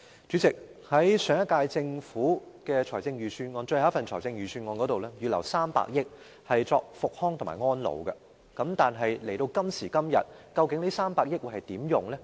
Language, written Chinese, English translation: Cantonese, 主席，上屆政府的最後一份財政預算案預留了300億元用作復康和安老，但現時這300億元究竟會如何運用？, President the last Budget of the last - term Government earmarked 30 billion for rehabilitation and elderly care services but how will this funding of 30 billion be used now? . We see little mention about it